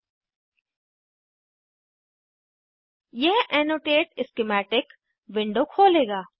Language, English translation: Hindi, This will open the Annotate Schematic window